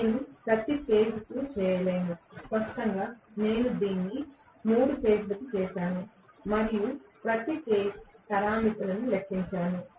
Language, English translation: Telugu, I cannot do it per phase, obviously I have done it for 3 phases and then calculate per phase parameters